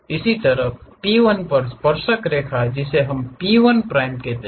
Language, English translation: Hindi, Similarly, the tangent at p 1 which we are calling p 1 prime